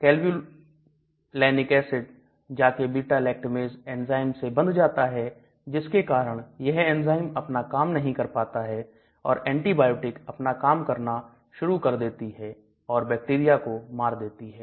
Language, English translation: Hindi, So this Clavulanic acid will go and bind to this enzyme beta lactamase and thereby that enzyme is not able to do any job whereas this antibiotic will start working and thereby it will kill the bacteria